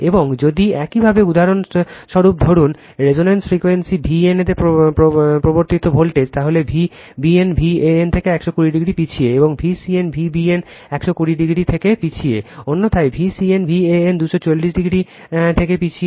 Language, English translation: Bengali, And if you take for example, voltage induced in V n as the reference, then V b n lags from V n by 120 degree, and V c n lags from V b n 120 degree, otherwise V c n lags from V a n by two 240 degree right